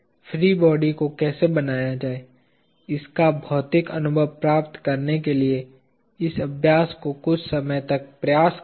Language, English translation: Hindi, Try this exercise a few times to get a physical feel of how to draw the free body